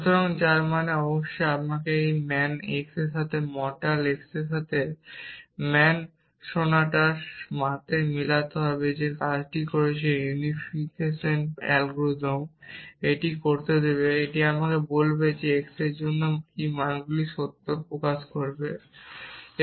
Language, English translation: Bengali, So, which means of course, I will have to match this man x with mortal x with man sonatas which is work the unification algorithm will allow it do it will tell me what values for x will make this true expressions